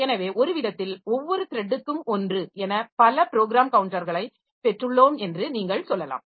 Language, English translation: Tamil, So, in some sense you can say we have got multiple program counters for a one for each thread